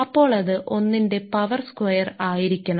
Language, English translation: Malayalam, So, that is should be 1 square